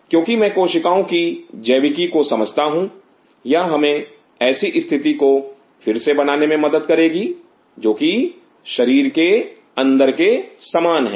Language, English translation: Hindi, Because what is I understand the biology of the cells it will help us to recreate a situation which is similar to that of inside the body